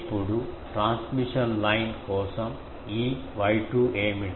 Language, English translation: Telugu, Now, what is this Y 2 for a transmission line